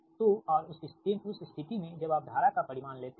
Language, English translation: Hindi, so, and in that case when you take the magnitude of the current